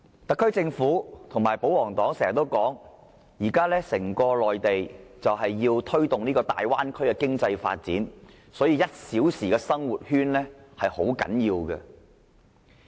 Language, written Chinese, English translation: Cantonese, 特區政府和保皇黨經常指，內地現時要推動大灣區經濟發展，所以 "1 小時生活圈"很重要。, The SAR Government and the royalists always attach great importance to the one - hour living circle given that the Mainland is now promoting the economic development in the Bay Area